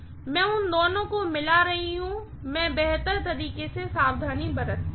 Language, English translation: Hindi, I am mingling the two, I better take precautions